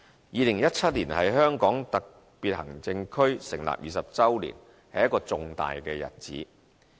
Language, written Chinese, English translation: Cantonese, 2017年是香港特別行政區成立20周年，是一個重大日子。, The year 2017 marks the 20 anniversary of the establishment of HKSAR and it is a very important event